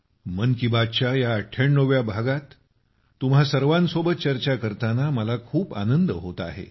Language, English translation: Marathi, I am feeling very happy to join you all in this 98th episode of 'Mann Ki Baat'